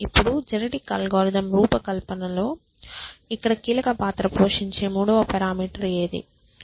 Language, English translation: Telugu, Now, what is the third parameter in designing genetic algorithm which is going to play critical role here